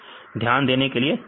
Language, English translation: Hindi, Thanks for your kind attention